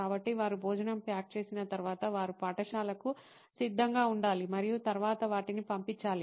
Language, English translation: Telugu, So, once they pack lunch, they have to get them ready to for school and then send them across